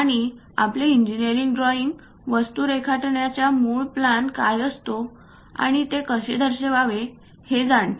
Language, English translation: Marathi, And our engineering drawing is knowing about this basic plan of drawing the things and representing drawings